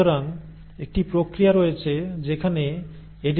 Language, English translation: Bengali, So there is a process wherein the editing takes place